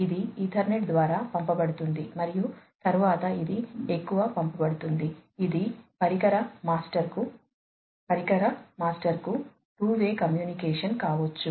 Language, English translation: Telugu, It is sent through the Ethernet and then this is sent further to it can be two way communication to the device master, to the device master